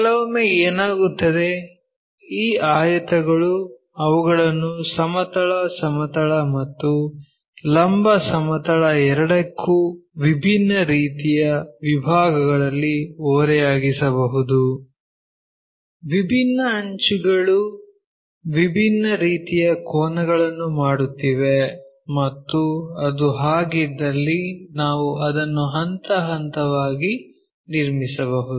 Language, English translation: Kannada, Sometimes what happens is these rectangles they might be inclined to both horizontal plane and also vertical plane at different kind of sections, different edges are making different kind of angles and if that is the case can we step by step construct that